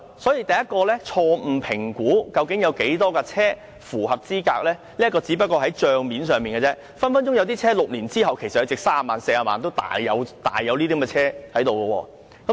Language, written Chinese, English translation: Cantonese, 所以，第一，是政府錯誤評估究竟有多少車輛符合資格，這個只是帳面上的數字，有些車輛在6年之後，隨時還值三四十萬元，這些車多的是。, Therefore in the very first place the Governments estimation of the number of eligible vehicles is wrong . Its figure is just a simplistic one . Some vehicles are still worth 300,000 or 400,000 six years after purchase